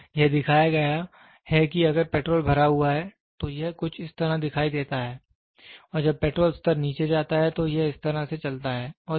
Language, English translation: Hindi, So, it showed like almost if the petrol is filled, it showed something like this and as and when the petrol level goes to down, it goes like this